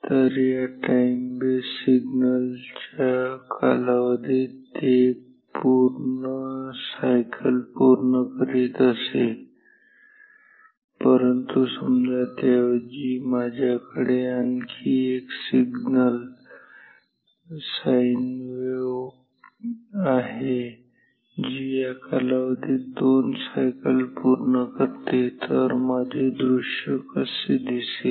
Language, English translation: Marathi, So, it used to complete one cycle within one period of this time base signal, but if say instead of this I have another signal sine wave which completes 2 complete cycles within this period then how will be my display ok